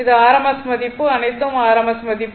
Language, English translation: Tamil, So, it is rms value all are rms value